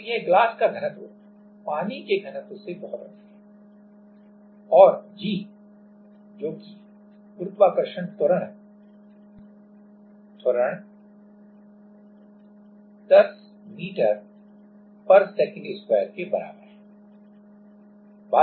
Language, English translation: Hindi, So, this is much higher than density of water and g that is gravitational acceleration is equals to 10m/s^2